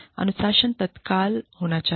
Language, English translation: Hindi, Discipline should be immediate